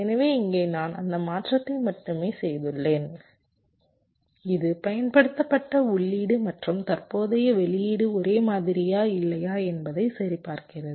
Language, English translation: Tamil, so here i have made just that change which checks whether the applied input and the current output are same or not